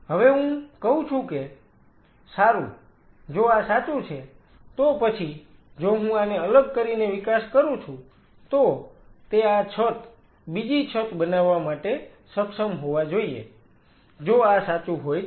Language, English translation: Gujarati, Now I say well if this is true, then if I grow this in isolation it should be able to form this roof second roof if this is true